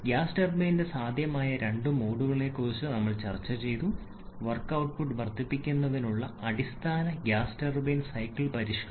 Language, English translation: Malayalam, Then we have discussed about 2 possible modes of gas turbine basic gas turbine cycle modification to increase the work output